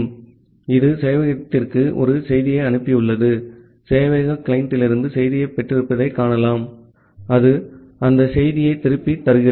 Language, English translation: Tamil, So, it has send a message to the server you can see that the server has received the message from the client and it is returning back that message